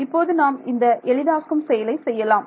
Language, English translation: Tamil, So, I can do that simplification